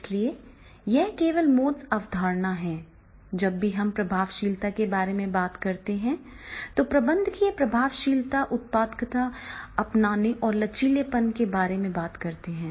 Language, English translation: Hindi, So, that is a most concept only, that is whenever we are talking the effectiveness, then managerial effectiveness is talking about the productivity, adaptability and flexibility